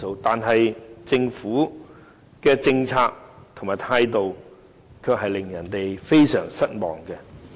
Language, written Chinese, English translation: Cantonese, 然而，政府的政策和態度卻令人非常失望。, However the Governments policy and attitude have been greatly disappointing